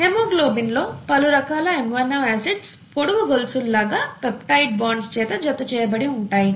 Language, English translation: Telugu, The haemoglobin consists of various different amino acids here a long chain of amino acids all connected together by peptide bonds, okay